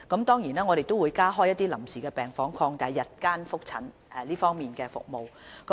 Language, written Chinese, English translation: Cantonese, 當然，當局亦會加開一些臨時病房，擴大日間覆診服務。, And certainly the authorities will also provide temporary wards to expand daytime follow - up consultation services